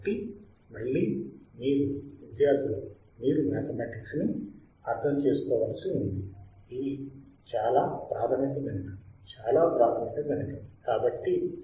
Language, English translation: Telugu, So, again guys you see you had to understand mathematics these are this is very basic mathematics very basic mathematics